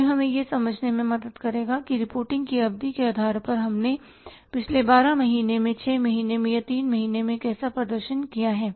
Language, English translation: Hindi, It will help us to understand how we have performed in the past 12 months, 6 months or 3 months depending upon the period of reporting